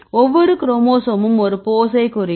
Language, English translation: Tamil, So, each chromosome represent a pose